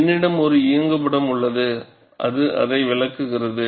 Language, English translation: Tamil, I have an animation which explains that